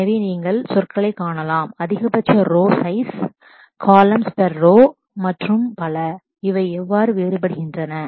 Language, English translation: Tamil, So, you can see in terms of maximum row size, columns per row and so on and so forth, how do they differ